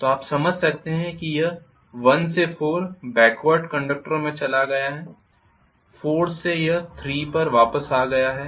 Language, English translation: Hindi, So you can understand that from 1 it has gone into 4 backward conductor, from 4 it has come back to 3